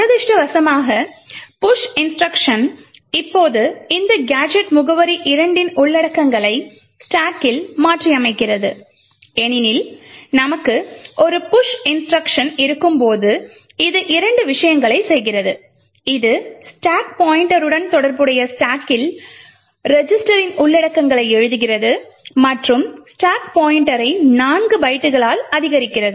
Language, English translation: Tamil, Unfortunately the push instruction now modifies the contents of this gadget address 2 in the stack because as we know when we have a push instruction it does two things it writes the contents of the register on the stack corresponding to the stack pointer and also increments the stack pointer by 4 bytes